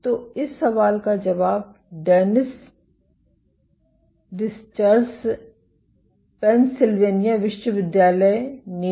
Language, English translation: Hindi, So, the answer this question Dennis Discher at UPenn